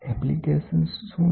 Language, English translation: Gujarati, What are the applications